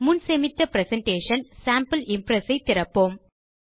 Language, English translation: Tamil, Lets open our presentation Sample Impress which we had saved earlier